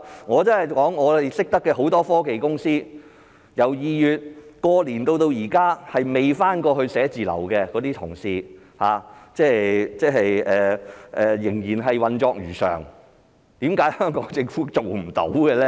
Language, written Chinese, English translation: Cantonese, 我所認識很多科技公司，由2月過年至今沒有返回辦公室工作的同事，仍然運作如常，為何香港政府做不到呢？, As far as I know the employees of many technology companies have been working from home since February after the Chinese New Year but these companies are still operating as usual so why is it not possible for the Hong Kong Government to do so?